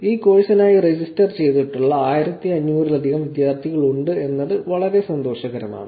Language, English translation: Malayalam, It is actually great to see that whether more than 1500 students who have registered for this course